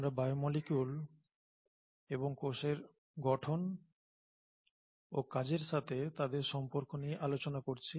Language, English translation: Bengali, We are discussing biomolecules and their relationship to cell structure and function